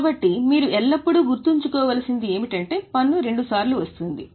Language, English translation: Telugu, So, tax you have to keep in mind always it will come two times